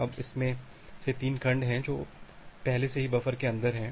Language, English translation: Hindi, Now out of that there are 3 segments, which are already they are inside the buffer